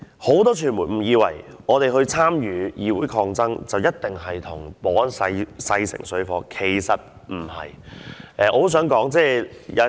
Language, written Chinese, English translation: Cantonese, 很多傳媒誤以為我們參與議會抗爭，一定與保安人員勢成水火，其實並不是這樣。, Many media have mistaken that we must be at odds with the security staff as we participate in parliamentary confrontation but it actually is not true